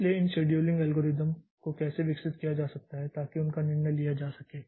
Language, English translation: Hindi, So, how this scheduling algorithms can be developed so that will be the that decision will take